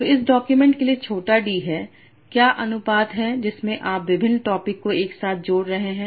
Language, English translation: Hindi, So for this document small D, what are the proportions in which you are blending different topics together